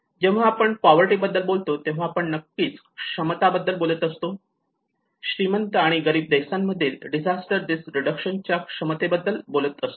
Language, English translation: Marathi, When we talk about poverty, obviously we are talking about the abilities and the capacities, the disaster risk reduction capacities in richer and poor countries